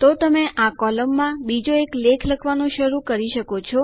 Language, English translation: Gujarati, So you can start writing another article in this column